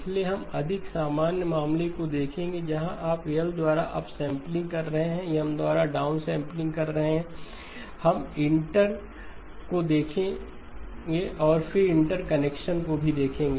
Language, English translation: Hindi, So we will look at the more general case where you’re upsampling by L, downsampling by M, we will look at the inter, and then will also look at interconnections